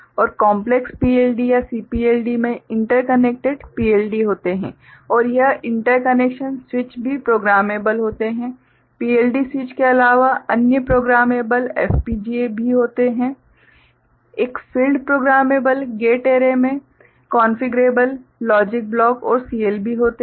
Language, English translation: Hindi, And complex PLD or CPLD consist of interconnected PLDs and switches of these interconnections are also programmable, other than the PLD switches are also programmable FPGA; a field programmable gate array consist of configurable logic blocks and or CLB